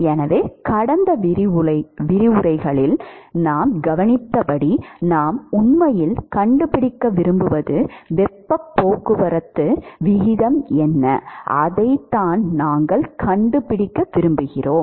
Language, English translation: Tamil, So, as we observed in the last several lectures, we said that what what we want to really find is what is the heat transport rate, that is what we want to find